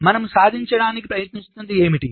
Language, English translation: Telugu, ok, so what we are trying to achieve